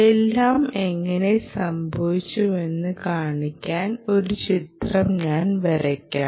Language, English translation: Malayalam, let me draw a nice picture here to show you how a everything happened